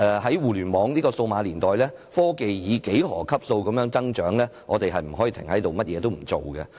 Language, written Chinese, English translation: Cantonese, 在互聯網數碼年代，科技正以幾何級數的速度發展，我們不可以停下來，甚麼也不做。, In the digital age technology is developing in a geometric progression and we cannot just stop and do nothing